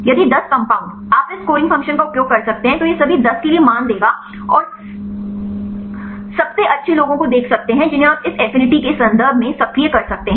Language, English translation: Hindi, If 10 compounds you can use this scoring function right it will give the values for all the 10, and see the best ones you can rank the actives in terms of this affinity right